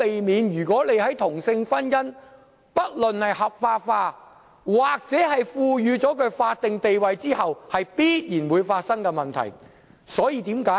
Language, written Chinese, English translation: Cantonese, 不論同性婚姻是合法化，還是獲賦予法定地位，這是必然會產生的問題，我們無可避免要面對。, Be it about legalizing same - sex marriage or granting it a statutory status it will give rise to such problems and we will inevitably encounter these problems